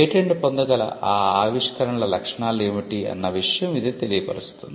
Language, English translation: Telugu, And what were the features of those inventions that were patentable